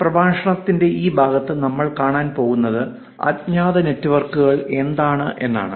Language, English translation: Malayalam, What we are going to look at this part of the lecture is something called anonymous network